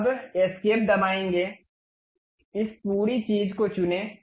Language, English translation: Hindi, Now, press escape select this entire thing